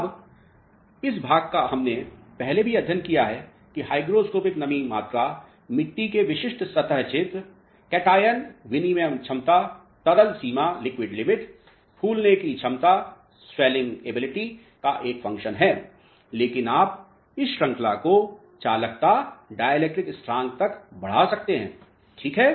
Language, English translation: Hindi, Now, this part we have studied earlier also that hygroscopic moisture content is a function of specific soil, surface area, cation exchange capacity, liquid limit swelling potential, but you can extend this series to by including conductivity and dielectric constant as well ok